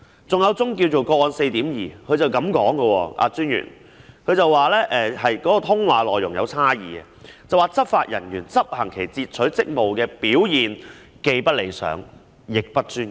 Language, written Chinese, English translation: Cantonese, 關於另一宗個案 4.2， 專員表示經查核後，發現提交小組法官的通話內容有差異，並指執法人員執行其截取職務的表現既不理想，亦不專業。, As regards another case case 4.2 the Commissioner indicated that checking of the case revealed a discrepancy concerning the contents of calls in reports to the panel judge and pointed out that the performance of the law enforcement agency officer concerned in her intercepting duties was neither satisfactory nor professional